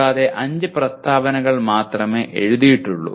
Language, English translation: Malayalam, And there are only 5 statements that are written